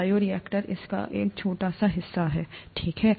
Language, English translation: Hindi, Bioreactor is a small part of it, okay